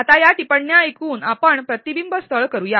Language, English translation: Marathi, Now listening to these comments, let us do a reflection spot